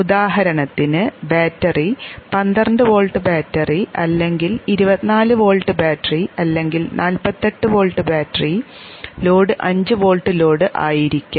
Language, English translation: Malayalam, For example the battery may be a 12 volt battery, a 24 old battery or a 48 volt battery and the load may be a 5 volt load